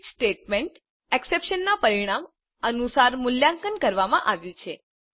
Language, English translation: Gujarati, Switch statement is evaluated according to the result of the expression